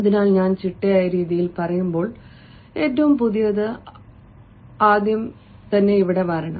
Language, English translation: Malayalam, so when i say systematic manner, the latest one should come first here